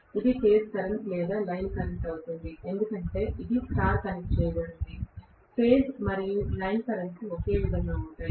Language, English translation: Telugu, This is going to be the phase current or line current because it star connected, phase and line currents are the same, does not matter